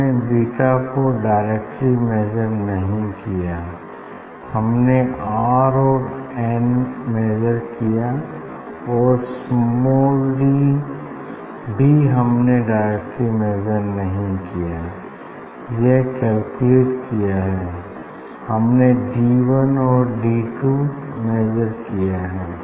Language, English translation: Hindi, we have measured not beta directly, we have measured R and n and for small d also we have not measured d directly it is calculated